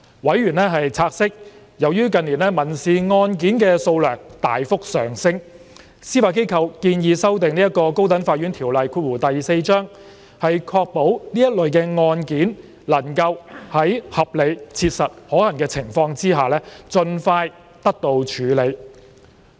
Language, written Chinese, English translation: Cantonese, 委員察悉，由於近年民事案件數量大幅上升，司法機構建議修訂《高等法院條例》，確保這類案件能夠在合理切實可行的情況下盡快得到處理。, Members note that in response to the rapid surge in civil caseloads in recent years the Judiciary proposes to amend the High Court Ordinance Cap . 4 so as to ensure that such cases are handled as expeditiously as is reasonably practicable